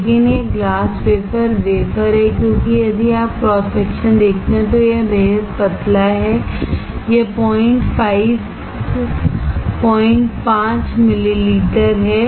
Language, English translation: Hindi, But this is glass wafer, wafer because if you see cross section it is extremely thin, it is 0